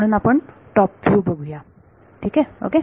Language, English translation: Marathi, So, let us look at the top view ok